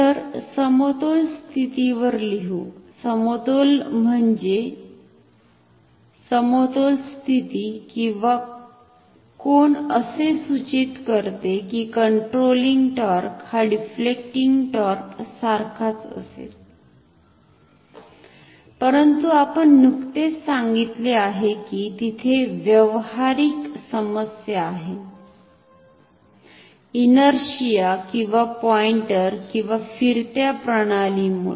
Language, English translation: Marathi, So, let us write at equilibrium; equilibrium means, equilibrium position or angle implies controlling torque will be same as deflecting torque, but as we have just mentioned there is a practical problem, due to inertia the pointer or the moving system; that means, coil everything which moves together may overshoot and oscillate